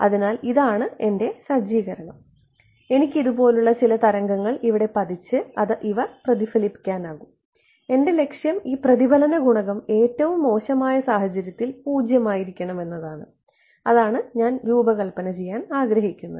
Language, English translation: Malayalam, So, that is the set up and I have some wave falling like this getting reflected over here and my goal is that this reflection coefficient should be 0 in the worst case right that is what I want to design